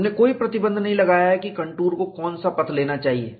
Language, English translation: Hindi, We have not put any restriction, which path the contour should take